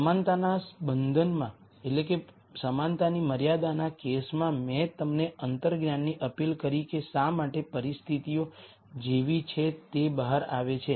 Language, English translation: Gujarati, The equality constraint case I appealed to intuition to tell you why the conditions turn out to be the way they are